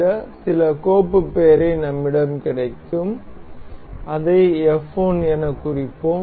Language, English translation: Tamil, Ask us for this some file name, we will mark it as f 1